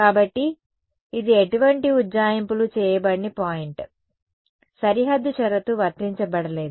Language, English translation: Telugu, So, this is the point where no approximations have been made, no boundary condition has been applied yeah